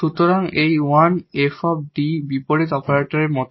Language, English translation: Bengali, So, this 1 over D is like integral operator